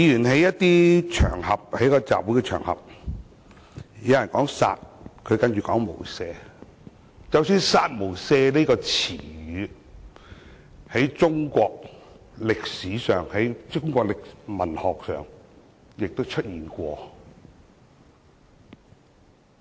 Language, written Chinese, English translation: Cantonese, 在該集會場合中，有人說"殺"，何君堯議員便接着說"無赦"，"殺無赦"這詞語即使是在中國歷史上、文學上也曾出現。, In the relevant public assembly someone said kill then Dr Junius HO said without mercy . The term kill without mercy can be found in the history and literary works of China